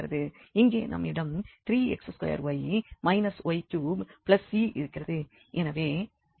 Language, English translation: Tamil, So, we got v here that 3 x square y minus y cube